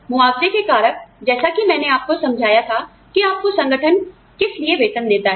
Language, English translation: Hindi, The compensable factors, as I explained to you, what the organization pays you for